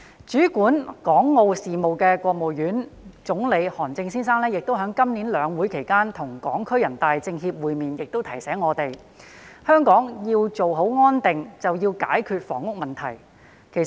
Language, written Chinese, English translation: Cantonese, 主管港澳事務的國務院副總理韓正先生今年在兩會期間與港區全國人大代表會面時亦提醒我們，香港要做好安定，便要解決房屋問題。, During a meeting with Hong Kong deputies to the National Peoples Congress during the two Sessions this year Vice - Premier of the State Council Mr HAN Zheng who is in charge of Hong Kong and Macao affairs also reminded us that if Hong Kong was to achieve stability the housing problem had to be solved